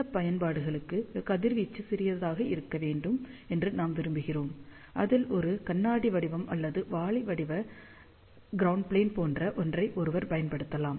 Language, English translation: Tamil, And for certain applications, where we want back radiation to be as small as possible, then one can use something like a glass shape or a bucket shaped ground plane